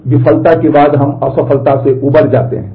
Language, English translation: Hindi, So, after the failure we recover from the failure